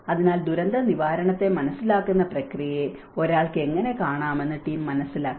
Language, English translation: Malayalam, So, for this, the team has understood that how one can look at the process of understanding the disaster management